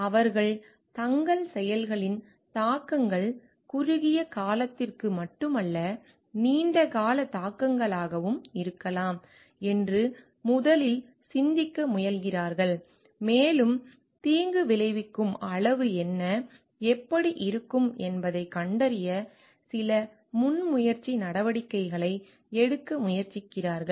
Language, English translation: Tamil, They are like, they first try to think what are could be the implications of their actions may be not only short term, but long term implications and they try to take some proactive measures to find out what could be the degree of harm and how they what they can do to protect themselves from the harm